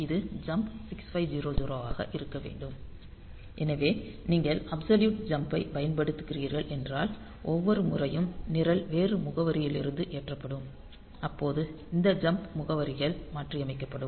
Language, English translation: Tamil, So, this should be jump 6500; so, if you are using absolute jump then every time the program is loaded from a different address, this jump addresses they are to be corrected ok